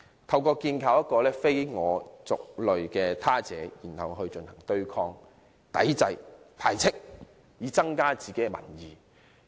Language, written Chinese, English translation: Cantonese, 建構了這個非我族類的他者後，民粹主義者會對其進行對抗、抵制、排斥，以增加自己的民意。, Having constructed the Other the populists will oppose resist and reject it in order to win over public opinion